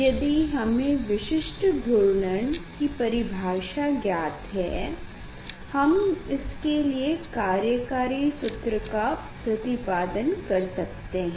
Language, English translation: Hindi, if we know the definition of specific rotation, then it is working formula easily we can derive